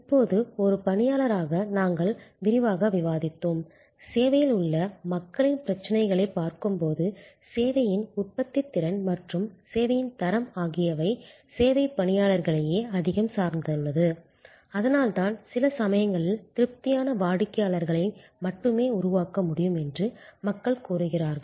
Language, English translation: Tamil, Now, just as an employee we have discussed in detail and we will again when we look at people issues in service, the productivity and quality of service depends a lot on service personnel, that is why even sometimes people say satisfied customers can only be created by satisfied employees